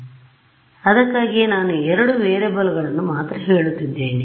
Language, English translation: Kannada, So, that is why I am saying only two variables